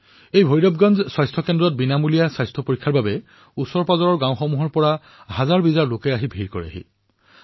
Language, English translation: Assamese, At this Bhairavganj Health Centre, thousands of people from neighbouring villages converged for a free health check up